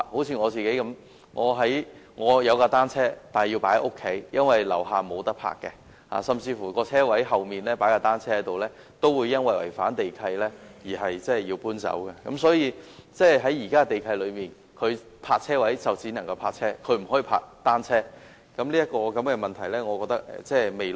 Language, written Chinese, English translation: Cantonese, 以我自己為例，我有一輛單車，但卻要放在家中，因為我家樓下沒有地方停泊，即使在車位後面擺放單車，也會因違反地契而要把單車搬走，原因是根據現時的地契，車位只能泊車，不能作停泊單車之用。, In my case for instance I have a bicycle but I have to keep it at home because there is no parking space downstairs of my home . Even if I place the bicycle at the back of the parking space it would have to be removed for breach of the DMC because a parking space is for parking cars only not for parking bicycles